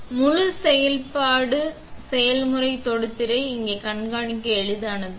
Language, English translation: Tamil, And, the entire process is easy to monitor here on the touch screen